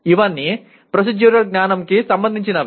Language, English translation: Telugu, These are all procedural knowledge